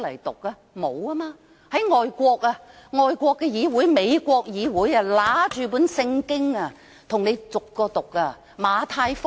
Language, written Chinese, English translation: Cantonese, 但在外國的議會，美國的議會議員會拿出聖經逐章讀出來。, But in congresses in other countries the Congress of the United States for instance some congressmen may take out a Bible and read it out chapter by chapter